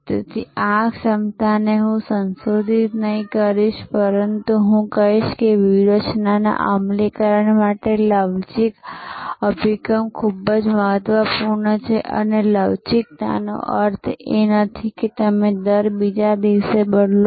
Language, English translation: Gujarati, So, this ability to, I would not say modify, but I would say a flexible approach to strategy implementation is very important and flexible does not mean, that you change every other day